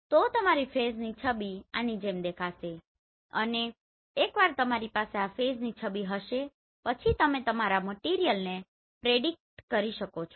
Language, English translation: Gujarati, So your phase image will look like this and once you have this phase image then you can predict your material